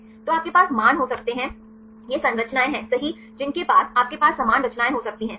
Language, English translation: Hindi, So, you can have the values right these are the structures right, which you can have the similar structures right